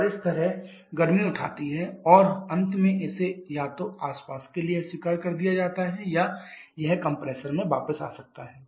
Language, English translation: Hindi, And thereby picking up the heat and finally it is either rejected to the surrounding or it may come back to the compressor as well